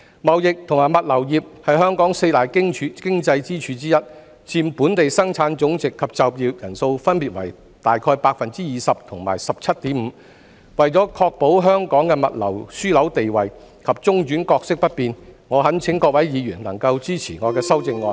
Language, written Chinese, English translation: Cantonese, 貿易及物流業是本港四大經濟支柱之一，佔本地生產總值及就業人數分別為大約 20% 及 17.5%， 為確保香港的物流樞紐地位及中轉角色不變，我懇請各位議員能夠支持我的修正案。, The trading and logistics industry is one of the four main economic pillars in Hong Kong accounting for approximately 20 % and 17.5 % of our Gross Domestic Product respectively . To ensure that Hong Kongs status as a logistics hub and role as a transhipment point remain unchanged I urge Members to support my amendment